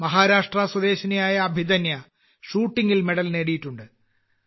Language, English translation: Malayalam, Abhidanya, a resident of Maharashtra, has won a medal in Shooting